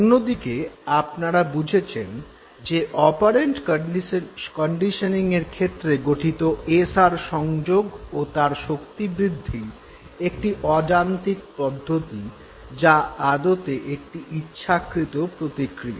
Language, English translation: Bengali, Whereas in the case of operant conditioning you realize that the SR association, the formation as well as a strengthening is non mechanistic and it is basically a voluntary process